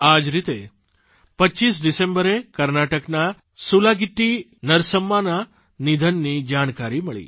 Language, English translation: Gujarati, On similar lines, on the 25th of December, I learnt of the loss of SulagittiNarsamma in Karnataka